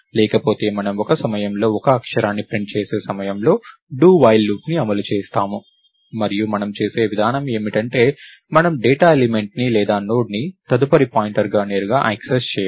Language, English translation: Telugu, Otherwise we run a do while loop which prints one character at a time and the way do we do that is, we don't access the data element or the next pointer of the of the nodes directly